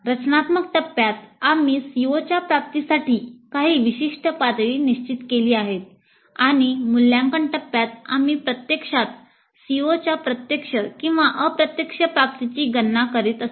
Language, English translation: Marathi, So, during the design phase we have set certain target levels for the attainment of the COs and in the evaluate phase we are actually computing the direct and indirect attainment of COs